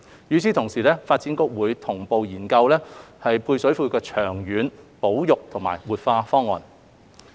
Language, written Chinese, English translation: Cantonese, 與此同時，發展局會同步研究配水庫的長遠保育和活化方案。, In parallel DEVB will look into the long - term options for conserving and revitalizing the service reservoir